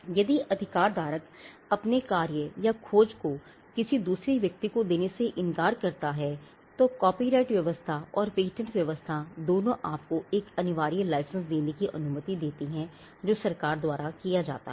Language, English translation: Hindi, If the right holder refuses to license his work or his invention to another person, both the copyright regime and the pattern regime allow you to seek a compulsory license, which is a license granted by the government